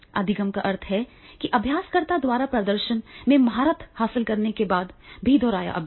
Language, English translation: Hindi, Over learning means repeated practices even after a learner has mastered the performance